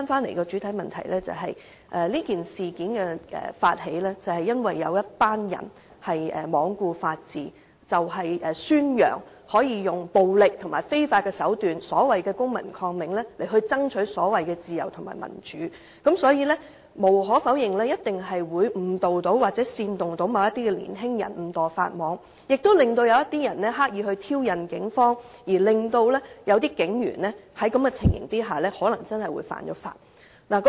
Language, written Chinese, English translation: Cantonese, 回到主體質詢，這事件的發起，是因為有一群人罔顧法治，宣揚使用暴力及非法手段——即所謂公民抗命——爭取所謂的自由和民主，所以無可否認一定會誤導或煽動某些年輕人誤墮法網，亦令某些人刻意挑釁警方，令某些警員在這種情況下可能真的會犯法。, This incident was actually instigated by some people who propagated violence and unlawful tactics as a means of fighting for what they called freedom and democracy . Some young people were inevitably misled or incited to make the mistake of breaking the law . Some were even induced to provoke the Police on purpose causing individual police officers to break the law under such provocation